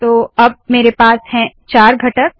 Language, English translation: Hindi, So I have four components